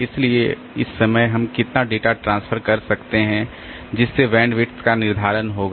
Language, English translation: Hindi, So, over this time so how much data we could transfer so that will determine the bandwidth